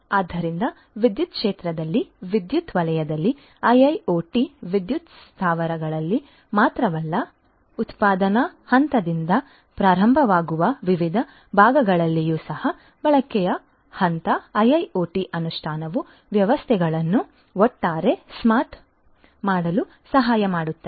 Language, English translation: Kannada, So, IIoT in the electricity sector in different parts of the electricity sector not only in the power plants, but also in the different parts starting from the generation point till the consumption point IIoT implementation can help in making the processes the systems overall smart